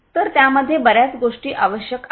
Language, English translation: Marathi, So, lot of lot of different things are required in it